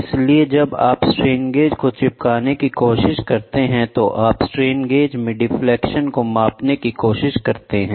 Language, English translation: Hindi, So, when you try the stick a strain gauge, you try to measure the deflection of the in the strain gauge